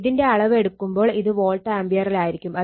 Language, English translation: Malayalam, And total if you make, it will be volt ampere